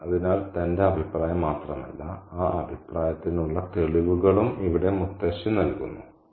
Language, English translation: Malayalam, So the grandmother here offers not only her opinion but also her evidence for that opinion